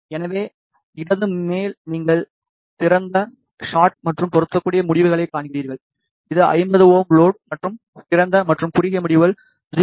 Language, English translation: Tamil, So, on the left top you see the results for open shot and match, which is 50 ohm load and you can see that the for open and short the results are closed to 0 dB which is the ideal case